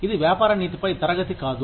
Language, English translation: Telugu, This is not a class on business ethics